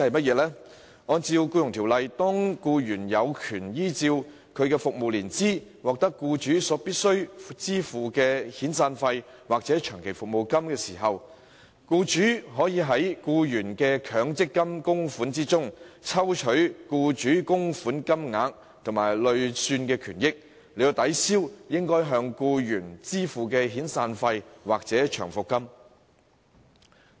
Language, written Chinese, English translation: Cantonese, 根據《僱傭條例》，當僱員有權按其服務年資，獲得僱主必須支付的遣散費或長期服務金時，僱主可從僱員的強積金供款中，抽取僱主供款部分及其累算權益，以抵銷應該向僱員支付的遣散費或長期服務金。, Under the Employment Ordinance EO if an employee becomes entitled to severance payment or long service payment based on his length of service his employer may withdraw the employers MPF contribution and the accrued benefits from the same to offset the severance payment or long service payment payable to the employee